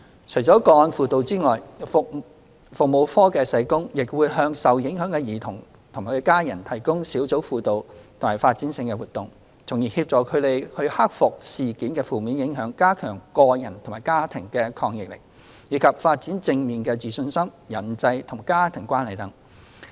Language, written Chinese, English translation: Cantonese, 除了個案輔導外，服務課社工亦會向受影響的兒童及家人提供小組輔導和發展性活動，從而協助他們克服事件的負面影響、加強個人及家庭的抗逆力、以及發展正面的自信心、人際和家庭關係等。, Apart from casework counselling social workers of FCPSUs also provide group counselling and developmental programmes for affected children and their families to help them overcome the negative impact of the incident enhance their individual and family resilience and develop positive self - confidence as well as interpersonal and family relationship etc